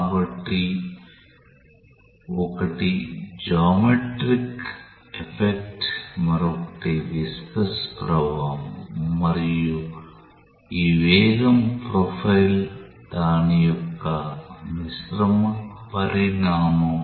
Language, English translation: Telugu, So, one is the geometrical effect another is the viscous effect and this velocity profile is a combined consequence of what has taken place